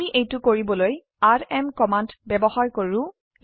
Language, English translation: Assamese, Let us try the rm command to do this